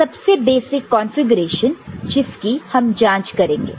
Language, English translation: Hindi, So, this is the basic configuration which we shall examine